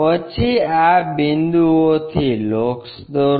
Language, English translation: Gujarati, Then draw locus from these points